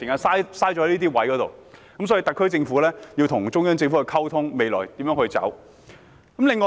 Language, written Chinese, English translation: Cantonese, 所以，特區政府應與中央政府就未來應如何走下去進行溝通。, Therefore the SAR Government should communicate with the Central Government on how FCs should move on